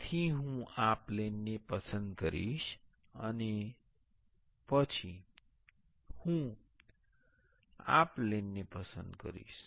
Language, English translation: Gujarati, So, I will select this plane, and then I will select this plane